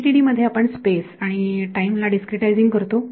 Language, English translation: Marathi, So, in FDTD we are discretizing space and time right